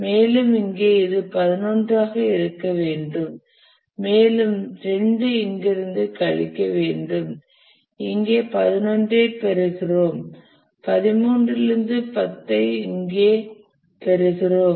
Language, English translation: Tamil, Subtract 2 from here we get 11 here we get 11 here and from here we get 11 here and from 13 we get 10 here